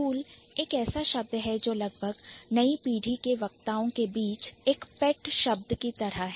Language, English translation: Hindi, Cool is a word which is, which has almost like a pet word in the new generation, like among the new generation speakers